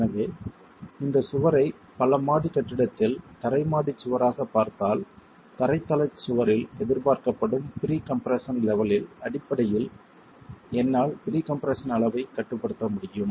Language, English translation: Tamil, So, if we were to look at this wall as a ground story wall in a multi storied building, then I can regulate the pre compression level based on what is the expected pre compression level in the ground story wall